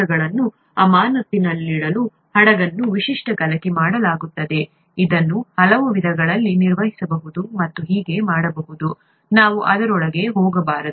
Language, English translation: Kannada, The vessel is typically stirred to keep the cells in suspension, it could be operated in many ways and so on, let us not get into that